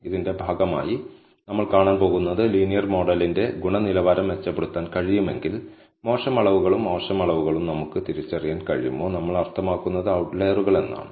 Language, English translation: Malayalam, As a part of this, we are going to see, if we can improvise the quality of the linear model and can we identify bad measurements and by bad measurements, we mean outliers